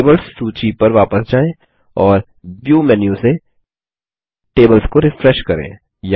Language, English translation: Hindi, Let us go back to the Tables list and Refresh the tables from the View menu